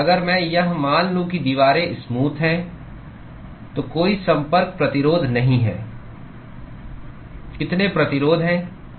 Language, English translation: Hindi, If I assume that the walls are smooth, there is no contact resistance, how many resistances